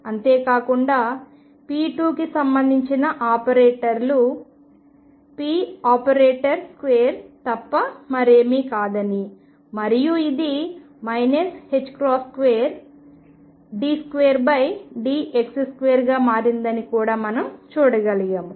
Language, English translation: Telugu, Not only that we could also see that operators corresponding to p square was nothing but p operator square and this became minus h cross square d 2 by dx square